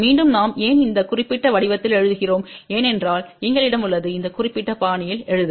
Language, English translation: Tamil, Again why we are writing in this particular form because we have to write in this particular fashion